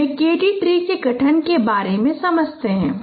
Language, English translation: Hindi, Let me explain the formation of a KD tree